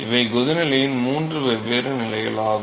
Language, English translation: Tamil, So, these are the three different stages of boiling